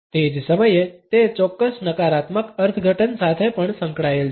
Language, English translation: Gujarati, At the same time, it is associated with certain negative interpretations also